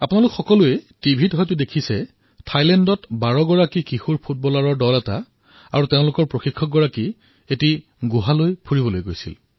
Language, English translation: Assamese, V… in Thailand a team of 12 teenaged football players and their coach went on an excursion to a cave